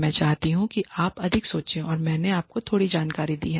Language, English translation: Hindi, I want you to think more and I have given you a little bit of information